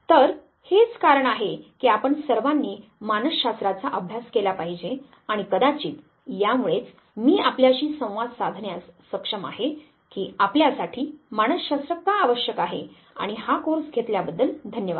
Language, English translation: Marathi, So, this is the reason why we should all study psychology and perhaps I am able to communicate to you that why psychology is essential for you and thank you for taking this course